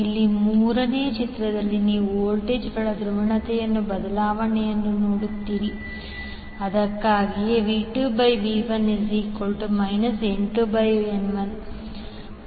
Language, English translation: Kannada, In the third figure here you see the polarity of voltages change that is why V2 by V1 will become minus N1 by N2